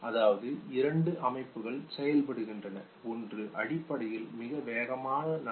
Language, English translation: Tamil, That means that two systems are working, one which basically moves very fast, okay